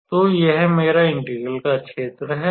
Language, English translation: Hindi, So, this is my area of integration and